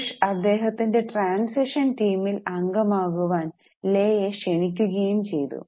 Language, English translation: Malayalam, And in 2001, Bush had invited him to become advisor of his transition team